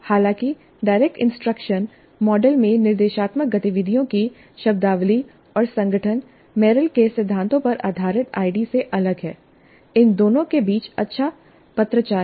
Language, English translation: Hindi, Though the terminology and organization of instructional activities in direct instruction model is different from those of the ID based on Merrill's principles, there is good correspondence between these two